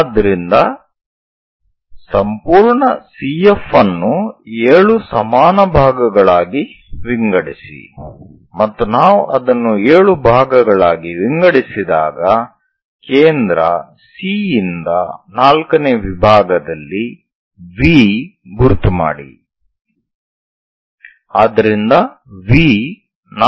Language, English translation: Kannada, So, divide the complete CF into 7 equal parts 7 parts we have to divide and once we divide that into 7 parts mark V at the fourth division from centre C